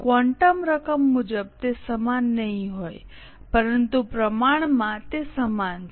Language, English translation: Gujarati, Quantum amount wise it won't be same but proportionately it is same